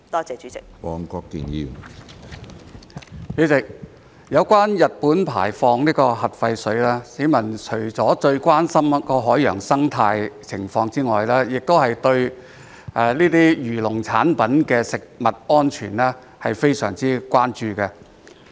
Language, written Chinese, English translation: Cantonese, 主席，有關日本排放核廢水，市民除了最關心海洋生態外，亦對這些漁農產品的食用安全非常關注。, President in regard to the discharge of nuclear wastewater by Japan besides showing utmost concern about the marine ecosystem the public are also very concerned about the food safety of these fishery and agricultural products